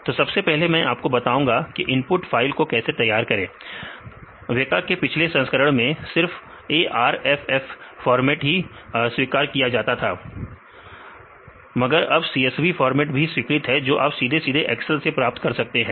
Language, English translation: Hindi, Then first I will tell you how to prepare the input file; early in the previous version of the weka, they accepted only the arff format and currently they also use CSV file format; you can directly get from the excel